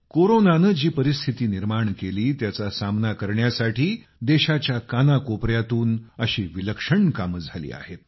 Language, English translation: Marathi, Such amazing efforts have taken place in every corner of the country to counter whatever circumstances Corona created